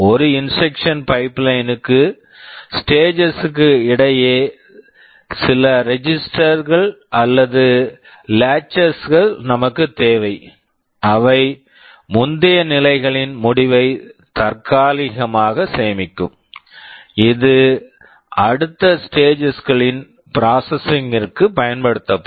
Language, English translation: Tamil, For a instruction pipeline also we need some registers or latches in between the stages, which will be temporary storing the result of the previous stage, which will be used by the next stage for processing